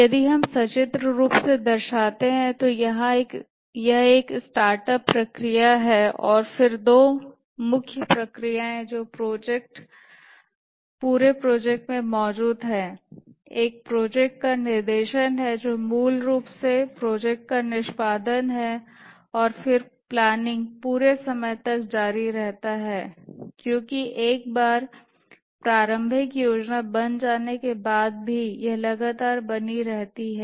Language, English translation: Hindi, If we represent that pictorially, there is a startup processes and then two main processes which exist throughout the project are the directing a project which is basically execution of the project and then planning continues throughout because once the initial plan is made it is continuously revised and based on the plan once the plan is complete initial plan is complete the project is initiated and the project undergoes various stages